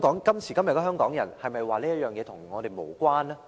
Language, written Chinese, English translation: Cantonese, 今時今日的香港人，能否說這件事與我們無關呢？, Nowadays can the people of Hong Kong state that such an incident is irrelevant to us?